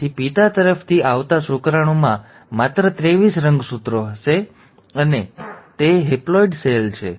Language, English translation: Gujarati, So a sperm coming from father will have only twenty three chromosomes, so it is a haploid cell